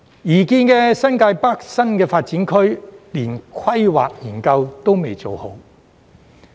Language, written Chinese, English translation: Cantonese, 擬建的新界北新發展區，連規劃研究也未做好。, The planning studies for the proposed New Territories North new development area have not even been completed